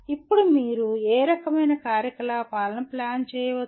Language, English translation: Telugu, Now what are the type of activities that you can plan